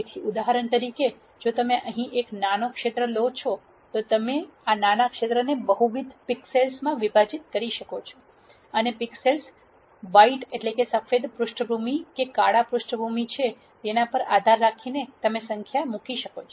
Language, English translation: Gujarati, So, in this case for example, if you take a small region here you can break this small region into multiple pixels and depending on whether a pixel is a white background or a black background you can put in a number